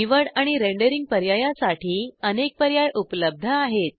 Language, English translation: Marathi, It has a variety of selection and rendering options